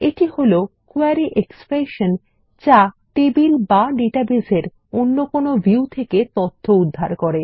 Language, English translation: Bengali, It is defined as a Query Expression, which is simply retrieval of data from tables or other views from the database